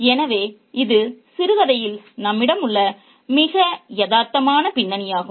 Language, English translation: Tamil, So, this is very, very realistic backdrop that we have in the short story